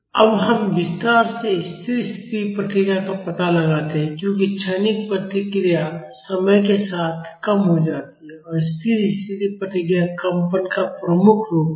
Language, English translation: Hindi, Now, let us explore the steady state response in detail as the transient response decays with time the steady state response is the predominant form of vibration